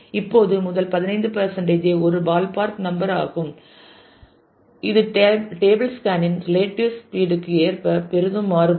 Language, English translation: Tamil, Now first 15 percent is a ballpark number this can vary greatly according to the relative speed of the table scan ah